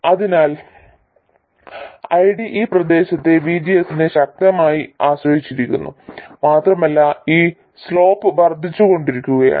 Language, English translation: Malayalam, So ID does strongly depend on VGS in this region and the slope only goes on increasing